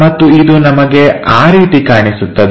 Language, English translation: Kannada, So, we will see in that way